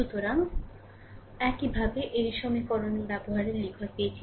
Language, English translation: Bengali, So, i 1 we got we use write in same equation